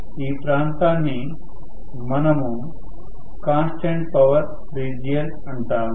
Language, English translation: Telugu, So, we call this region as constant power region